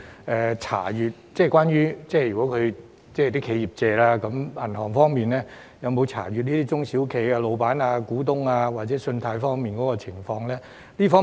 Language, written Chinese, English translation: Cantonese, 我想詢問，如果企業申請借貸，銀行會否查閱中小企的老闆或股東的信貸資料？, Here is my question . Will banks access the credit data of owners or shareholders of SMEs if they apply for loans?